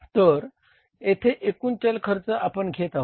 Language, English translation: Marathi, This is the total variable cost we calculated here